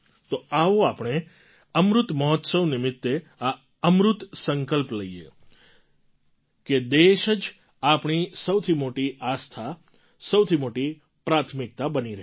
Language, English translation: Gujarati, Come, on Amrit Mahotsav, let us make a sacred Amrit resolve that the country remains to be our highest faith; our topmost priority